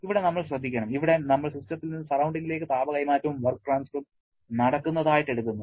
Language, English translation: Malayalam, Here, be careful we are taking both heat transfer and work transfer from system to the surrounding